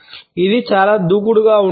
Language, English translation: Telugu, It is it is very aggressive